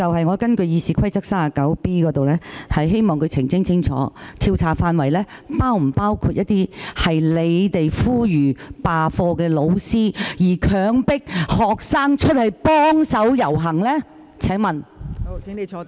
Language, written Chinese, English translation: Cantonese, 我根據《議事規則》第 39b 條，希望他澄清有關調查範圍，是否包括呼籲罷課、強迫學生出去遊行的教師。, Under Rule 39b of the Rules of Procedure I hope that he can clarify whether the scope of the investigation will cover teachers who called for class boycott and who forced students to take to the streets